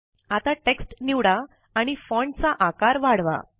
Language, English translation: Marathi, Now, lets select the text and increase the font size